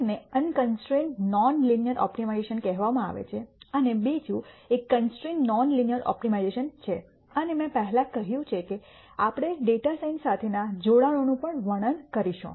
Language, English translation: Gujarati, One is called the unconstrained non linear optimization and the other one is constrained nonlin ear optimization and as I mentioned before we will also describe the connections to data science